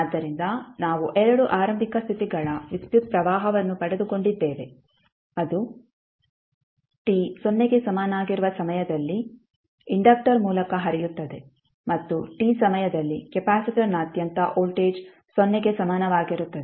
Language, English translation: Kannada, So, we got 2 initial conditions current which is flowing through the inductor at time t is equal to 0 and voltage across capacitor at time t is equal to 0